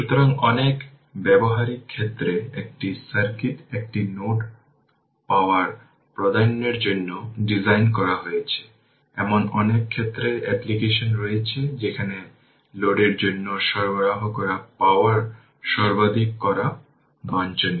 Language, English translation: Bengali, So, the in many practical cases a circuit is designed to provide power to a load, there are applications in many areas, where it is desirable to maximize the power delivered to the load right